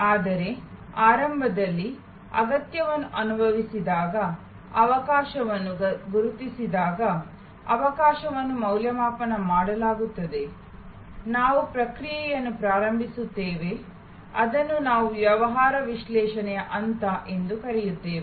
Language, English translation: Kannada, But, initially therefore, when a need is felt, an opportunity is recognized, the opportunity is evaluated, we start the process, which we called the business analysis phase